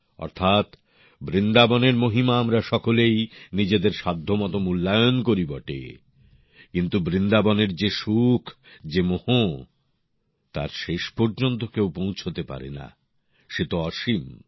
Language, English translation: Bengali, Meaning, We all refer to the glory of Vrindavan, according to our own capabilities…but the inner joy of Vrindavan, its inherent spirit…nobody can attain it in its entirety…it is infinite